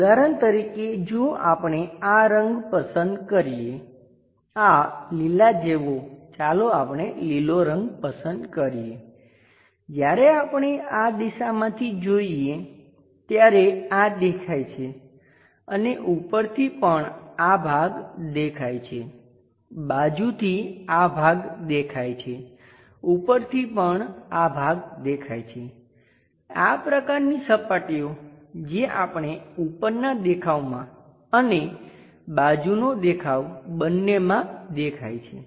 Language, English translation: Gujarati, For example; if we are picking this color this greenish one let us pick green, when we are looking from this direction this is visible and also from top view this portion is visible, from side view this portion is visible, from top view also this portion is visible, such kind of surfaces what we have shown visible from both top view and side view